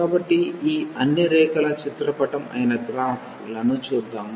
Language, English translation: Telugu, So, let us look at the graphs of all these curves